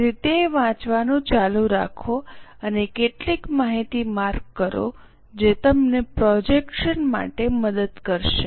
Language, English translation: Gujarati, So, go on reading it and mark some information which is going to help us for projection